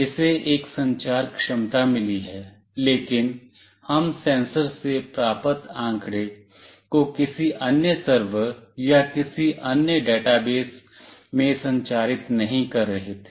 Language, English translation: Hindi, It has got a communication capability, but we were not transmitting the data that we received from the sensor to any other server or any other database